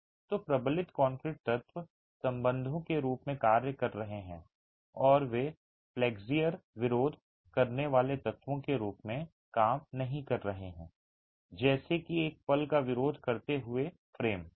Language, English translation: Hindi, So, the reinforced concrete elements are acting as ties and they are not acting as flexure resisting elements as in a moment resisting frame